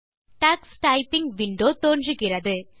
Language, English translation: Tamil, The Tux Typing window appears